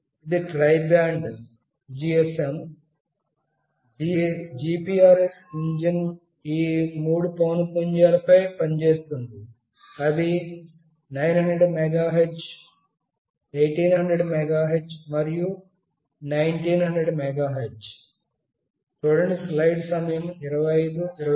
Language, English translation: Telugu, It is a tri band GSM, GPRS engine that works on these three frequencies, that is 900 megahertz, 1800 megahertz, and 1900 megahertz